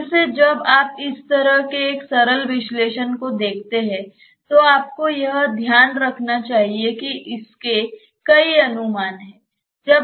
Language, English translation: Hindi, Again when you see such a simple analysis you should keep in mind that this has many approximations